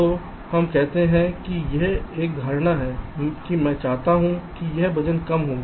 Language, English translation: Hindi, ok, so lets say its an assumption that i want that this weight to be less